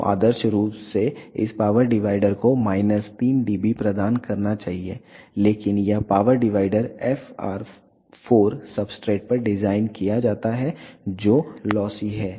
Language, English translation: Hindi, So, ideally this power divider should provide minus 3 dB, but this power divider is designed on FR 4 substrate which is lossy